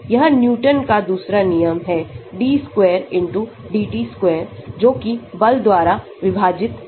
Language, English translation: Hindi, This is Newton's second law d square x by dt square = Force divided by m